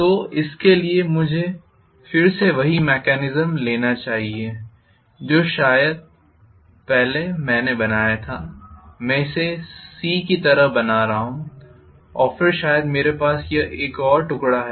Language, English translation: Hindi, So for this let me again take the same mechanism as what probably I drew earlier, I am drawing more like a C here and then maybe I have one more piece here